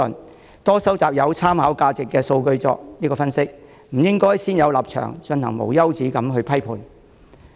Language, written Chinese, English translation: Cantonese, 大家應多收集有參考價值的數據作分析，不應先入為主而不斷批判。, I encourage Members to collect more valuable data for analysis rather than making an endless stream of prejudiced criticisms